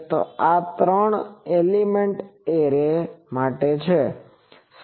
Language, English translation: Gujarati, So, this is for a three element array